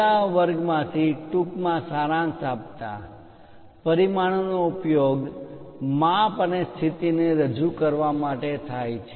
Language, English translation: Gujarati, To briefly summarize you from the last classes, dimension is used to represent size and position